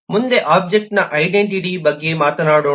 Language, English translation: Kannada, next we will talk about the identity of an object